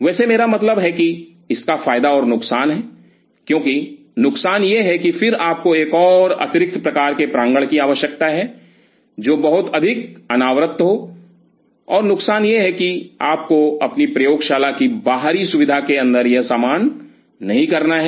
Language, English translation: Hindi, Well I mean it has it is advantage and disadvantage because the disadvantage is that then you need another additional kind of enclosure, which is much more exposed and the disadvantage is that you do not have to do this stuff inside the outer facility of your lab